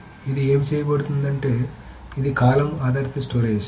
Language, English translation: Telugu, So what is this is being done is that this is the column based storage